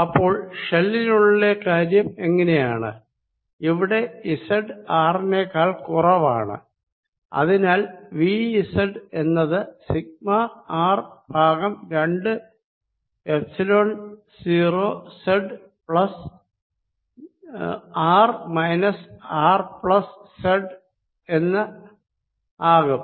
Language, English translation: Malayalam, what about the other, inside this sphere, inside this shell, i am going to have said z less than r and therefore v at z becomes equal to sigma r over two epsilon zero z plus r minus r plus z z